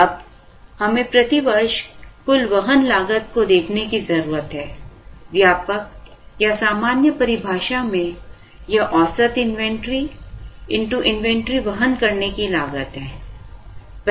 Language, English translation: Hindi, Now, we need to look at the total carrying cost per year, the broad or general definition is average inventory into the inventory carrying cost